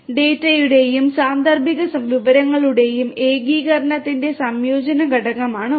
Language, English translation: Malayalam, One is the integration component of integration of data and contextual information